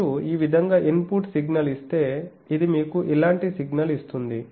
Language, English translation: Telugu, Also if you give a input signal like this, this one gives you signal like this